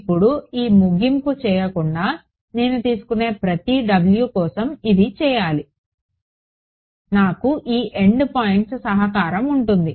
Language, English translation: Telugu, Now without doing this end so, this should be done for every W that I take I will have this end point contribution